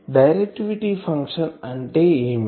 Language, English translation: Telugu, What is directivity